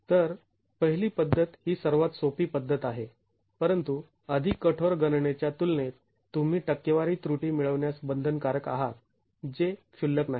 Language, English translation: Marathi, So, the first method is the simplest method but you are bound to get percentage error in comparison to a more rigorous calculation which is not insignificant